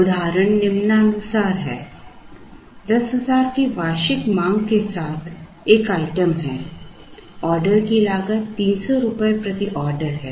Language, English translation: Hindi, The example is as follows, there is a single item with an annual demand of 10,000 the order cost is rupees 300 per order